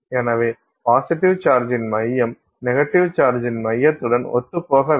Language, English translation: Tamil, So, center of positive charge should coincide with center of negative charge